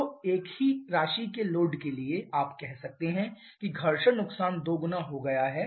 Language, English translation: Hindi, So, for the same amount of load there you can say that the friction loss has increased to double